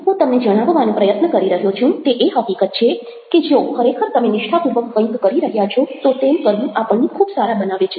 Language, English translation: Gujarati, what i have been trying to share with you is the fact that if you are really genuinely doing something where that makes us very good at that and actually helps us